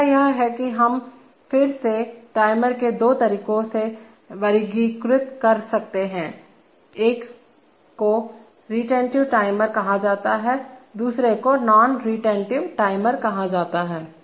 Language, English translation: Hindi, Next is that we again can classify timers into two ways one is called retentive timer, another is called non retentive timer